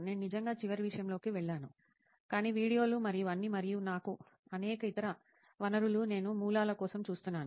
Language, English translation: Telugu, I really do not go through the last thing is, but videos and all and my many other sources, I look for the sources